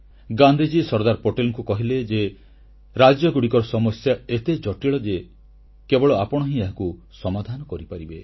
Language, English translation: Odia, Gandhiji considered Sardar Patel as the only one capable of finding a lasting solution to the vexed issue of the states and asked him to act